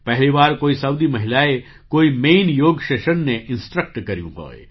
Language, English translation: Gujarati, This is the first time a Saudi woman has instructed a main yoga session